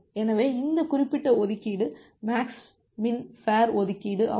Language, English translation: Tamil, So, this particular allocation is a max min fair allocation